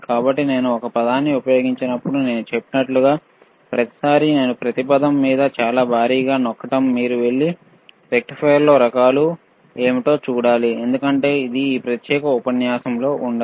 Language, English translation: Telugu, So, when I use a word, like I said, every time when I am im pressing it very heavy on and each word, you have to go and you have to see what are kinds of rectifiers;, Bbecause it may not be covered in this particular lecture